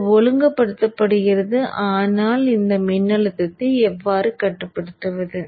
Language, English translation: Tamil, But how to regulate this voltage